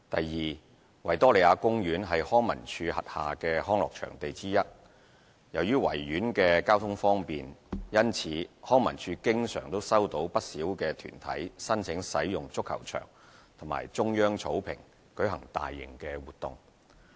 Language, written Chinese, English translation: Cantonese, 二維多利亞公園是康文署轄下的康樂場地之一。由於維園交通方便，因此康文署經常收到不少團體申請使用足球場或中央草坪舉行大型活動。, 2 The Victoria Park is one of the leisure venues under the management of LCSD with many applications from organizations for using the soccer pitches or Central Lawn therein for large - scale events given the easy accessibility